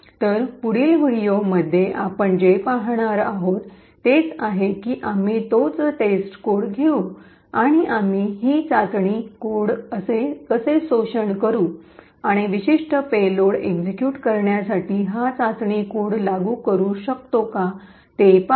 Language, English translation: Marathi, So, in the next video what we will see is that we will take the same test code and will see how we could exploit this test code and enforce this test code to execute a particular payload